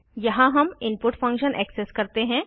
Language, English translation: Hindi, Here we access the input function